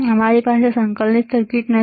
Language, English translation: Gujarati, We do not have integrated circuits